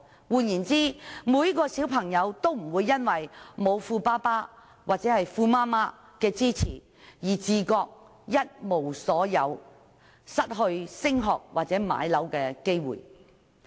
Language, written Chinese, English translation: Cantonese, 換言之，小朋友不會因為沒有富爸爸或富媽媽的支持，而自覺一無所有，失去升學或置業的機會。, In other words children will not feel that they have nothing or no opportunities for further studies or home acquisition because they do not have the backing of rich parents